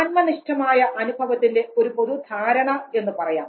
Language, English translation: Malayalam, The whole concept of subjective experience the feeling